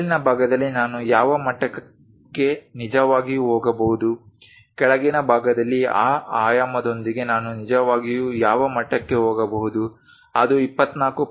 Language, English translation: Kannada, On upper side up to which level I can really go on the lower side up to which level I can really go with that dimension, is it 24